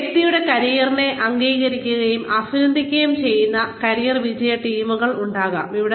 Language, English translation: Malayalam, There could be, career success teams, acknowledging and applauding a person's career